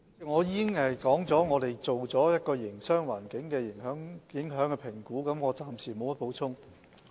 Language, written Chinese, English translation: Cantonese, 我已經指出我們做了一項對營商環境的影響評估，我暫時沒有補充。, I already said that we had done a Business Impact Assessment and I have nothing more to add for now